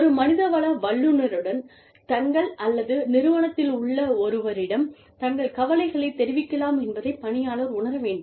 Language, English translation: Tamil, Employee should feel comfortable, coming to an HR person with their, or to somebody in the organization, with their concerns